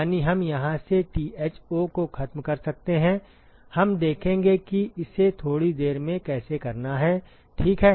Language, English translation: Hindi, That is we could eliminate Tho from here we will see how to do that in a short while, ok